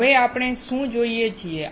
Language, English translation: Gujarati, What do we see now